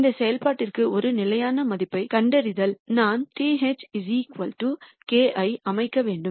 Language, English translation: Tamil, If we were to find a constant value for this function then I have to set this equal to k